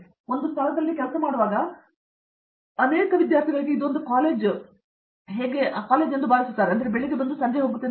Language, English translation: Kannada, You, when you are working in a place many of the students feel that it is like a college, where I go in the morning come in the evening